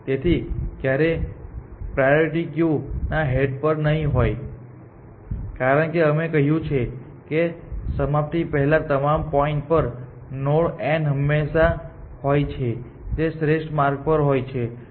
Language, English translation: Gujarati, So, it will never be at the head of the priority queue essentially, because we have said that at all points before termination, there is always a node n prime which is on the optimal path and which is on open